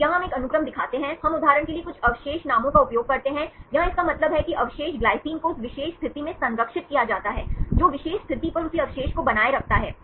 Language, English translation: Hindi, So, here we show one sequence, we use some residue names for example, here this means the residue glycine is conserved at that particular position, that maintains the same residue at the particular position